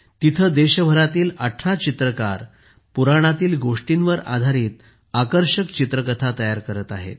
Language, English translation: Marathi, Here 18 painters from all over the country are making attractive picture story books based on the Puranas